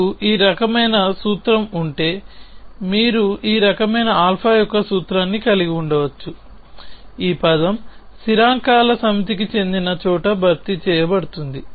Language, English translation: Telugu, If you have a formula of this kind, you can have a formula of this kind alpha which the term replaced by a where a belongs to a set of constants